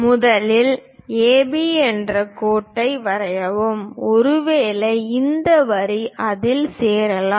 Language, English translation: Tamil, Let us first draw a line AB; maybe this is the line; let us join it